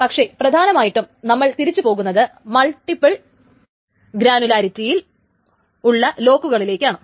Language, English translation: Malayalam, But more importantly, we will return to logs in what is called a multiple granularity